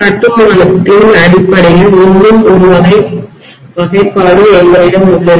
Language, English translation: Tamil, We also have one more type of classification based on construction